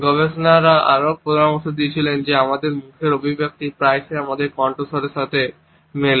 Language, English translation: Bengali, Researchers have also suggested that our facial expressions often match with the tonality of our voice